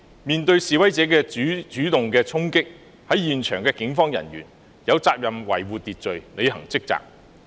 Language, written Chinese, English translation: Cantonese, 面對示威者的主動衝擊，在現場的警方人員有責任維護秩序，履行職責。, Facing the protesters who took the initiative to charge the police officers at the scene were duty - bound to maintain order and discharge their duties